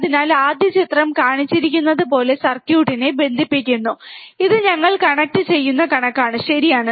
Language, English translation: Malayalam, So, first thing is connect the circuit as shown in figure, this is the figure we will connect it, right